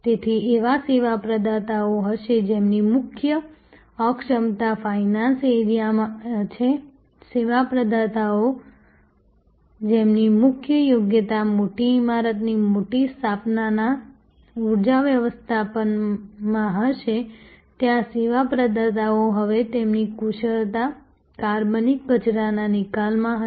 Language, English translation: Gujarati, So, there will be service providers whose core competence is in the finance area service providers whose competence core competence will be in energy management of a large establishment of a large building there will be service providers whose expertise will be in organic waste disposal